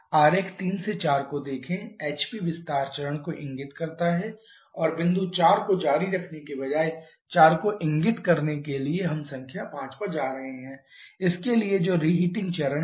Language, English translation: Hindi, Look at the diagram 3 to 4 refers to the HP expansion stage and point 4 instead of continuing to Point A we are going to point number 5 for this which is the reheating stage